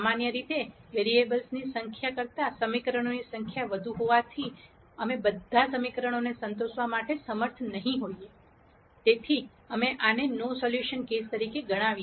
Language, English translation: Gujarati, Since the number of equations is greater than the number of variables in general, we will not be able to satisfy all the equations; hence we termed this as a no solution case